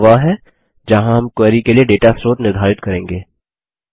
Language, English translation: Hindi, Here is where we will define the source of the data for the query